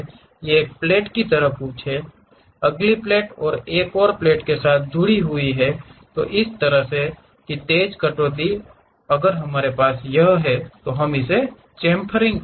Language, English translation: Hindi, These are something like a plate, next plate attached with another plate that kind of sharp cuts if we have it on that we call chamfering